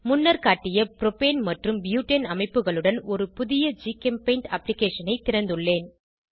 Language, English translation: Tamil, I have opened a new GChemPaint application with Propane and Butane structures as shown in the slide